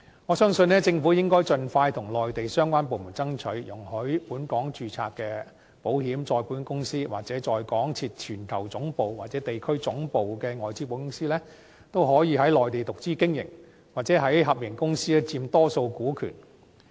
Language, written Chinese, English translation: Cantonese, 我相信，政府應盡快與內地相關部門爭取，容許本港註冊的保險、再保險公司，或在港設全球總部或地區總部的外資保險公司，可以在內地獨資經營，或在合營公司佔多數股權。, I believe that the Government should expeditiously seek approval from the relevant Mainland departments to allow Hong Kong - registered insurance and reinsurance companies or foreign - invested insurance companies with global headquarters or regional headquarters in Hong Kong to operate wholly - owned business on the Mainland or to allow them to have a majority shareholding in the joint - venture company